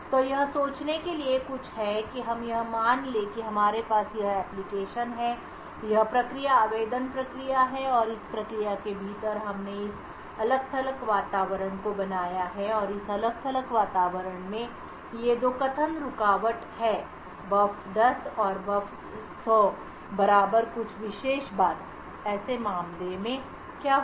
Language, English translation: Hindi, us assume that we have this application, this is the process application process and within this process we have created this isolated environment and in this isolated environment there are these two statements interrupt buf 10 and buf 100 equal to some particular thing, what would happen in such a case